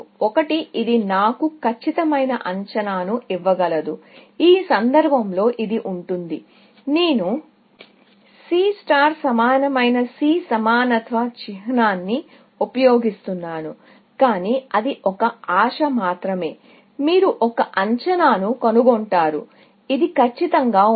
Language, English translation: Telugu, One is, it can give me a perfect estimate, in which case, this would be; I would use an equality sign C equal to C star, but that is only a wishful hope, that you will find an estimate, which is perfect